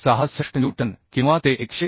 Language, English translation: Marathi, 66 newton or that is 101